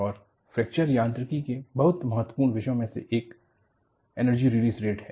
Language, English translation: Hindi, And, one of the very important topics in Fracture Mechanics is Energy Release Rate